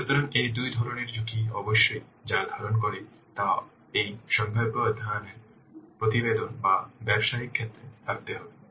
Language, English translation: Bengali, So, these two types of risks must what contain, these two types of risks must be contained in this feasible study report or business case